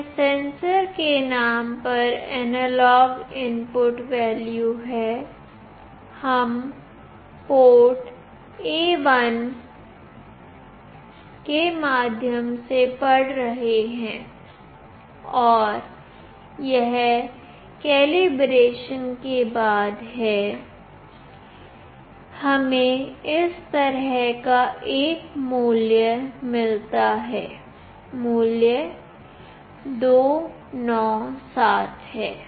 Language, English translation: Hindi, This is the analog input value in the name of sensor, we are reading through port A1 and this is after calibration, we get a value like this … value is 297